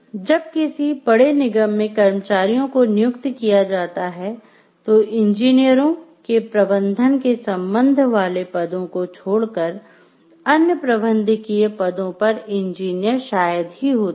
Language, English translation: Hindi, So, what happened when the employees are employed in large corporation is engineers are rarely in significant managerial positions, except with regard to managing other engineers